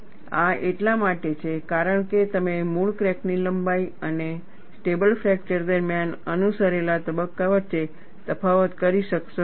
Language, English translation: Gujarati, This is because you will not be able to distinguish between original crack length and the phase followed during stable fracture